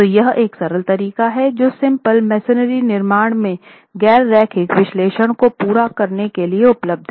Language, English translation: Hindi, So this is one simple approach that is available for carrying out nonlinear analysis in simple masonry constructions